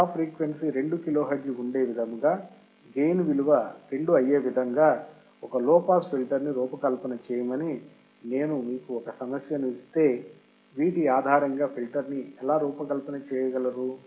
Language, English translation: Telugu, If I gave you this particular problem that you have a cut off frequency fc of 2 kilohertz and gain of 2, based on that how you can design the filter